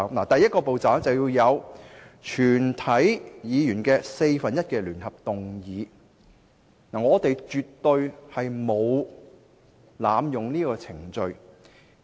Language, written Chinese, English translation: Cantonese, 第一個步驟，是全體議員的四分之一聯合動議；因此，我們絕對沒有濫用這個程序。, The first step requires one fourth of all Members to jointly initiate the motion . Hence we absolutely have not abused this procedure